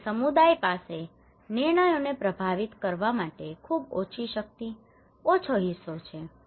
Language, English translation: Gujarati, So community has a very less power, very less stake to influence the decisions